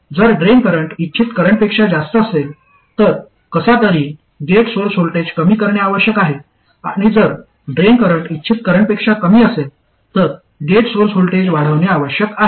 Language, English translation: Marathi, If the drain current is more than the desired current, somehow the gate source voltage must reduce and if the drain current is less than the desired current, the gate source voltage must increase